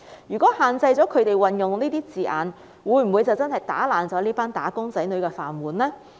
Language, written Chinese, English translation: Cantonese, 如果限制了他們運用這些字眼，會否真的打破這群"打工仔女"的"飯碗"呢？, If restrictions are imposed on the use of these terms will this group of employees lose their means of living?